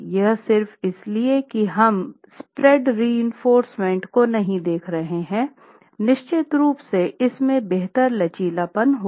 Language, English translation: Hindi, Simply because we are not looking at spread reinforcement is going to give you better ductility